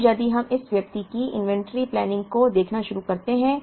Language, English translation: Hindi, Now, if we start looking at inventory planning of this person